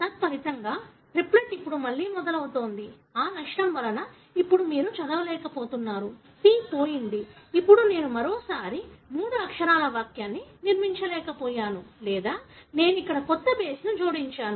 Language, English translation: Telugu, As a result, the triplet now starts again, the loss of which now you are unable to read it; the C is gone, now I am unable to construct the three letter sentence once again or I add a new base here that pretty much shifts